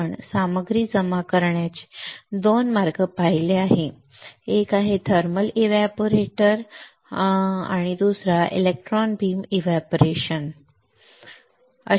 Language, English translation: Marathi, We have seen 2 way of depositing the material one is using thermal evaporator one is using electron beam evaporator